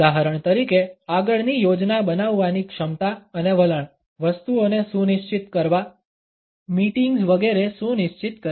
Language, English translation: Gujarati, For example, the capability and tendency to plan ahead, to schedule things, to schedule meetings etcetera